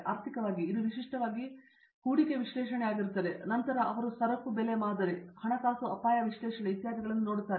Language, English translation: Kannada, In financial, it has been typically investment analysis then they look at commodity price modeling, financial risk analysis etcetera